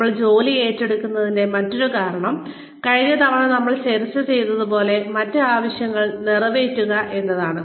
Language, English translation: Malayalam, The other reason, why we take up jobs, is to fulfil other needs, like we discussed, last time